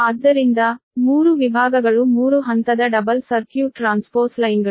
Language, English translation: Kannada, so three sections, sub three, your three phase double circuit transpose lines